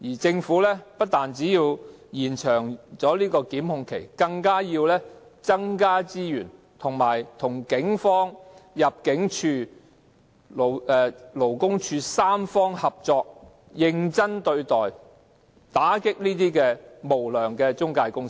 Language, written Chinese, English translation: Cantonese, 政府不單要延長檢控期，更應增加資源，與警方、香港入境事務處和勞工處三方合作，認真對待問題，打擊無良中介公司。, Not only should the Government extend the time limit for prosecution it should take this matter seriously and allocate more resources in a bid to facilitate tripartite collaboration between the Police the Immigration Department and the Labour Department in the crackdown on unscrupulous employment agencies